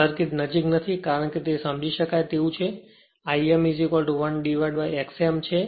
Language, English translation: Gujarati, Circuit is not the near because, it is understandable and I m is equal to 1 upon X m